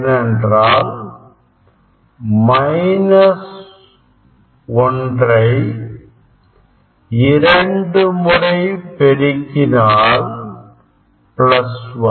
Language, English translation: Tamil, then you will get minus 1 square of minus 1 is plus 1